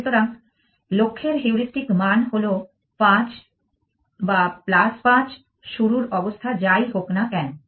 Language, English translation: Bengali, So, the heuristic value of the goal is 5 or plus 5 whatever the start state